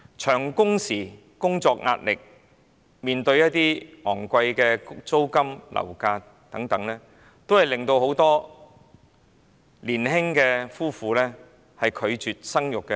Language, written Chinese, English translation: Cantonese, 由於工時長、工作壓力大、租金和樓價高昂等，很多年輕夫婦都拒絕生育。, Owing to long working hours heavy work pressure high rents and property prices many young couples refuse to have children